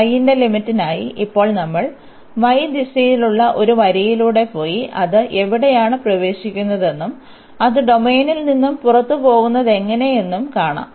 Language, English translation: Malayalam, So, for the limit of y, now we will go through a line in the y direction and see where it enters and where it leaves the domain